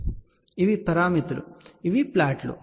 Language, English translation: Telugu, So, these are the parameters and these are the plots